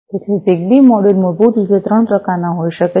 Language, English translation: Gujarati, So, a ZigBee module basically can be of 3 types